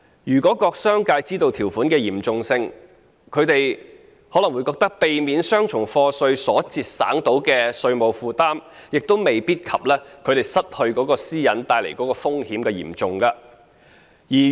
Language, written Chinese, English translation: Cantonese, 如果商界知道這項條款的嚴重性，他們可能會覺得，避免雙重課稅所節省的稅務負擔未必及他們失去私隱所帶來的風險嚴重。, If the business community came to appreciate the gravity of such a provision they might find the tax savings made from avoiding double taxation not worth the serious risk of losing their privacy